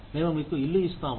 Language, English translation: Telugu, We will give you a house